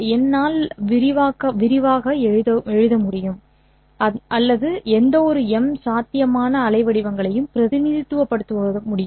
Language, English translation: Tamil, Through these basis functions, I am able to expand or write down any or represent any M possible waveforms